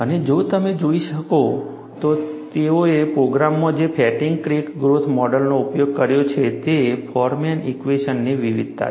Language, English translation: Gujarati, And if you look at, what is the fatigue crack growth model, that they have used, in the program, is a variation of the Forman equation